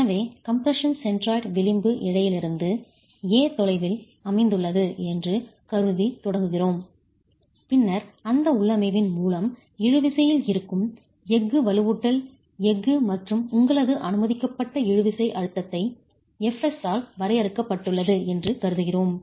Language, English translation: Tamil, So, we begin by assuming that the compression centroid is located at a distance A from the edge fiber, and then we assume that with that configuration, the tension steel, the steel with the steel reinforcing which is in tension is limited by F